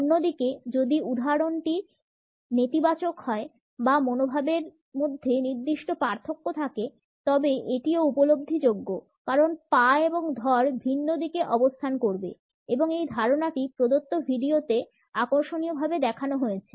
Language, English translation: Bengali, On the other hand, if the instance is negative or there is certain diffidence in the attitude it is also perceptible because the feet and torso would be positioned in different directions; this idea is interestingly shown in the given video